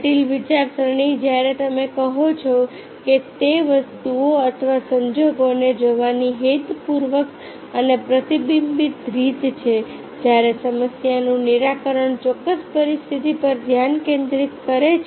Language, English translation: Gujarati, critical some thinking when you say it is the intentional and reflective way of looking at the things or circumstances, while problem solving focuses on a specific situation